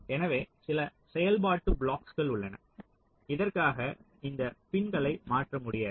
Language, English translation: Tamil, ok, so there are certain functional blocks for which you cannot do this swapping of the pins